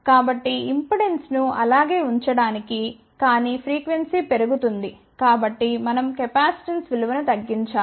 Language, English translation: Telugu, So, to keep the impedance same, but frequency is increased hence we have to decrease the value of the capacitance